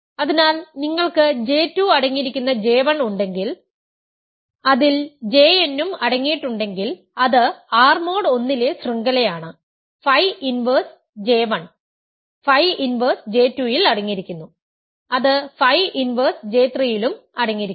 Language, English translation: Malayalam, So, if you have J 1 containing J 2 containing J n which is a chain in R mod I, phi inverse J 1 will be contained in phi inverse J 2 which will be contained in phi inverse J 3 and so on